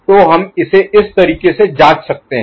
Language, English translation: Hindi, So, we can examine it in this manner